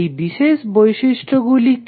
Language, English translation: Bengali, What are those properties